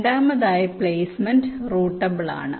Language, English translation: Malayalam, secondly, the placement is routable